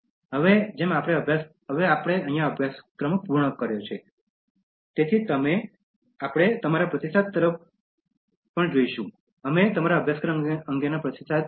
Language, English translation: Gujarati, And now as we have concluded the course, so we will be looking forward towards your feedback, we welcome your feedback on the course